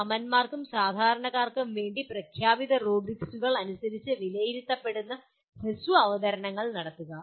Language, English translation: Malayalam, Make short presentations to peers and lay persons that get evaluated as per declared rubrics